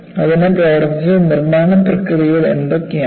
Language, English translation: Malayalam, What are the manufacturing processes that has gone into it